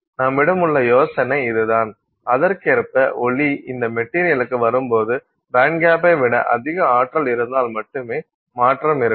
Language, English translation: Tamil, So that is the idea that we have and so correspondingly when light arrives at this material only if you have energy greater than the bandcap you have a transition